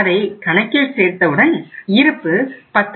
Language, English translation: Tamil, So the balance of this account will go up to 10